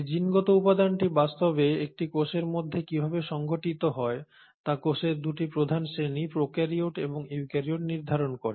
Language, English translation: Bengali, Now how this genetic material is actually organised within a cell determines 2 major classes of cells or 2 major groups of cells, prokaryotes and eukaryotes